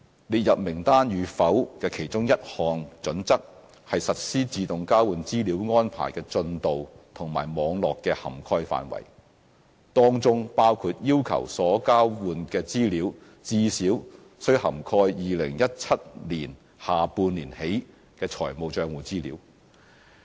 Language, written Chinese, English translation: Cantonese, 列入名單與否的其中一項準則，是實施自動交換資料安排的進度和網絡的涵蓋範圍，當中包括要求所交換的資料最少須涵蓋2017年下半年起的財務帳戶資料。, One of the listing criteria is the progress and the network of implementing AEOI . This includes the requirement that the information exchanged must at least comprise the financial account information covering the period starting from the second half of 2017